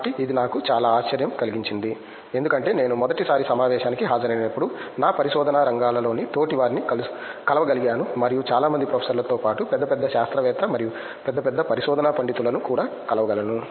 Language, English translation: Telugu, So, it was very surprise for me because first time I attended the conference, I am able to meet peers in my research areas and also a big big scientist and big big research scholars along with many professors